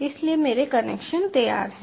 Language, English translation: Hindi, so my connections are ready